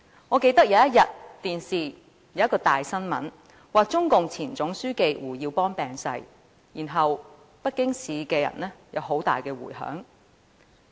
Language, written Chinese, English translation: Cantonese, 我記得有一天，電視播出了一則大新聞，指中共前總書紀胡耀邦病逝，然後北京市的人民有很大迴響。, I remember one day the momentous news that HU Yaobang the General Secretary of the Communist Party of China CPC died of an illness was announced on the television . The news was greeted with strong responses by the people in Beijing